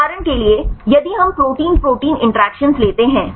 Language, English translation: Hindi, For example if we take the protein protein interactions